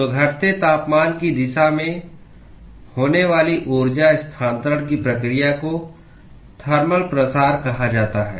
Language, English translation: Hindi, So, this process of energy transfer that occurs in the direction of decreasing temperature is what is called as thermal diffusion